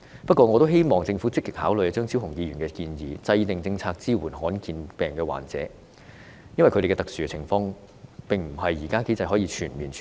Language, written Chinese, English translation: Cantonese, 不過，我希望政府積極考慮張超雄議員的建議，制訂政策支持罕見病患者，因為他們的特殊情況在現時機制下未能獲得全面處理。, Nonetheless I hope that the Government will actively consider the proposal of Dr Fernando CHEUNG and formulate policies to support patients with rare diseases because their special conditions have not been fully dealt with under the existing mechanism